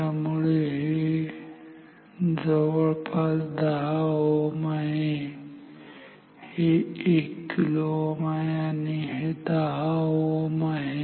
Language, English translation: Marathi, So, this is around 10 ohm this is 1 kilo ohm this is 10 ohm